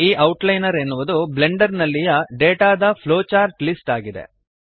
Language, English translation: Kannada, The Outliner is a flowchart list of data in Blender